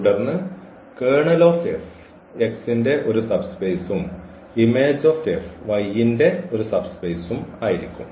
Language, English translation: Malayalam, Then the kernel of F, so, this kernel of F and is a subspace of X and also image of F is a subspace of X